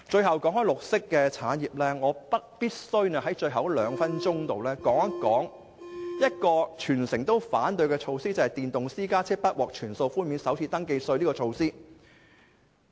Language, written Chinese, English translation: Cantonese, 談到綠色產業，我必須用最後的兩分鐘談談一項全城反對的措施，就是電動私家車不獲全數寬免首次登記稅。, On the green industry I would like to spend the last two minutes discussing a measure opposed by all members of the public that is the First Registration Tax for electric private cars will not be fully waived